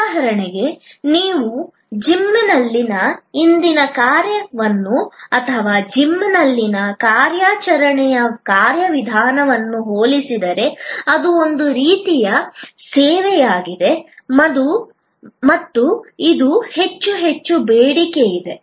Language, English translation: Kannada, For example, if you compare today's function in a gym or operational procedure in a gym which is a kind of a service and now more and more in demand